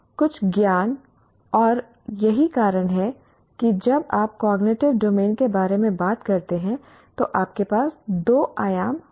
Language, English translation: Hindi, And that's the reason why you have two dimensions when you talk about cognitive domain